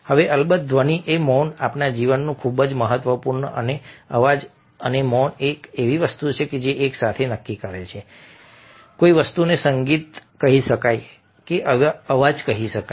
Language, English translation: Gujarati, now, sound and silence, of course, are very, very important in our lifes, and sound and silence a are something which together decide whether something can be called music or can be called noise